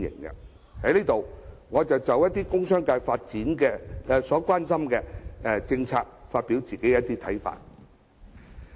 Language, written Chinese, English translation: Cantonese, 我在這裏就一些工商界所關心的政策發表我的看法。, Here I would like to express some of my views on the policies that the commercial and industrial sectors are concerned about